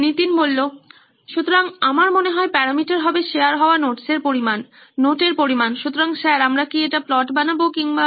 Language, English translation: Bengali, So I guess, the parameter would be the amount of notes that are being shared, the quantity of notes, so sir should we make a plot or